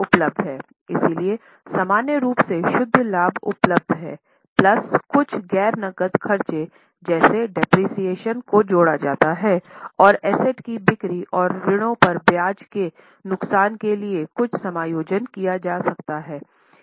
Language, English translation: Hindi, So, normally net profit is available plus some non cash operating, non cash expenses like depreciation are added and some adjustments may be made for loss on sale of assets and interest on debts